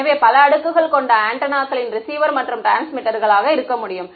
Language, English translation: Tamil, So, I could have multiple layers of antennas receivers and transmitters